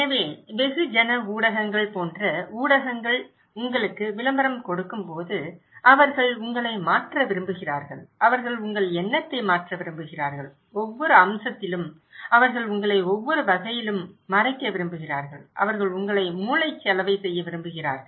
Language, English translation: Tamil, So, like media like mass media when they give you advertisement, they want to change you, they want to change your mind, they want to cover you in every way every aspect, they want to brainwash you